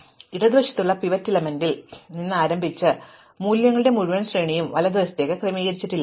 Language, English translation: Malayalam, So, I start with the pivot element at the left and now I have this entire range of values to the right which are unsorted